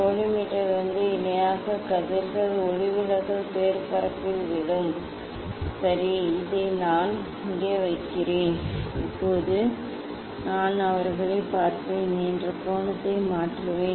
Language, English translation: Tamil, then the parallel rays from collimator will fall on the refracted surface, ok; this I will set this way put here now, now I will change the angle of let me just yes let me look at them